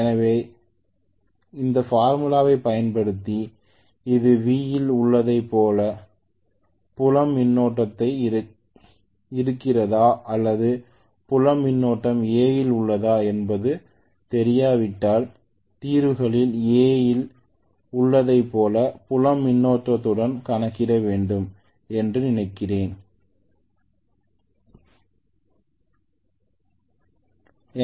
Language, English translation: Tamil, So 200 plus IF I do not know whether this is with field current as in V or is it field current is in A, I think I have calculated it with field current as in A in my solutions what I have put which is 2